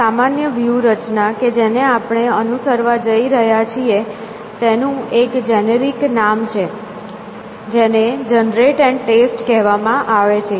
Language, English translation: Gujarati, So, this general strategy that we are going to follow is has a generic name, which is called generate and test